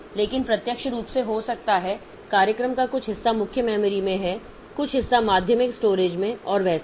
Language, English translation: Hindi, But as physically the program may be some part of the program may be in the main memory, some part may be in the secondary storage and all that